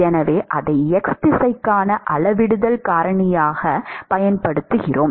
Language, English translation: Tamil, And so, we use that as a scaling factor for the x direction